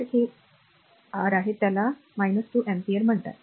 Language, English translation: Marathi, So, this is your what you call minus 2 ampere